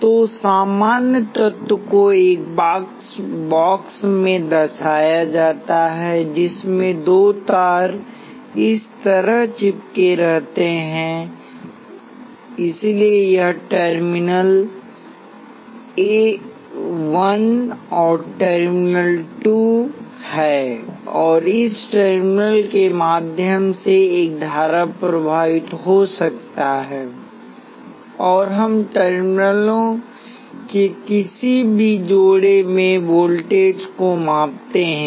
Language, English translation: Hindi, So the generic element is represented by a box with two wires sticking out like this so this is terminal 1 and terminal 2 and a current can flowing through this terminal, and we measure voltages across any pairs of terminals